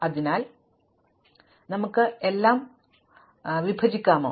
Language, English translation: Malayalam, So, can we divide everything